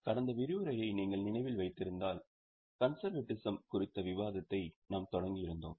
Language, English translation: Tamil, If you remember in the last session we had started our discussion on the concept of conservatism